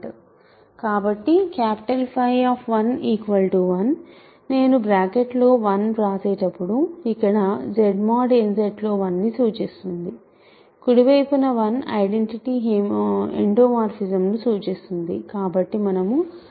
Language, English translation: Telugu, So, capital phi of 1 is equal to 1, when I write 1 in the bracket here represents 1 in Z mod n Z; on the right hand side 1 represents the identity endomorphism so, we check that